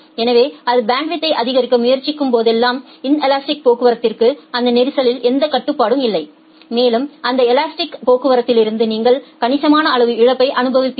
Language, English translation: Tamil, So, whenever it will try to increase in bandwidth the inelastic traffic does not have any control over that congestion and you will experience a significant amount of loss from that inelastic traffic